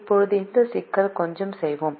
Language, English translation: Tamil, now let us do a little bit into this problem